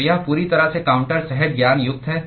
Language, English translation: Hindi, So, it is completely counter intuitive